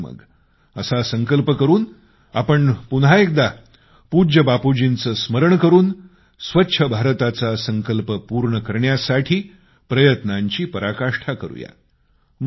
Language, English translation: Marathi, Let us all, once again remembering revered Bapu and taking a resolve to build a Clean India, put in our best endeavours